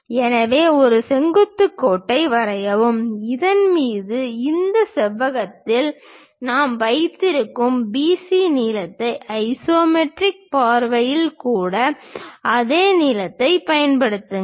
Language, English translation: Tamil, So, draw a vertical line, on that, construct whatever BC length we have it on this rectangle even on the isometric view use the same length